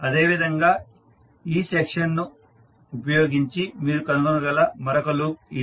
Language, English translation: Telugu, Similarly there is another loop which you can trace using this particular section